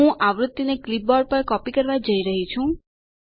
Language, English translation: Gujarati, I am going to copy the frequency on to the clipboard